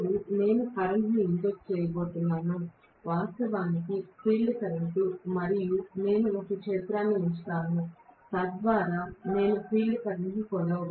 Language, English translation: Telugu, Now, I am going to inject the current which is actually the field current and I will put an ammeter so that I will be able to measure the field current